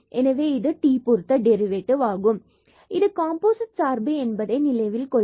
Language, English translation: Tamil, So, this is derivative with respect to t and remember this is like composite function